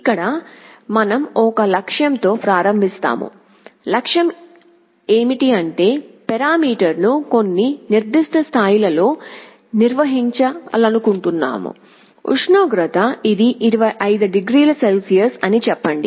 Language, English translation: Telugu, Here we start with a goal, goal means we want to maintain the parameter at some particular level; for temperature let us say, it is 25 degrees Celsius